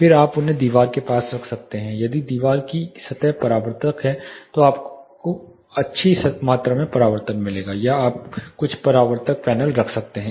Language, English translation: Hindi, Then you can place them near the wall if the wall surface is reflective you will get good amount of reflection or you can place certain reflective panels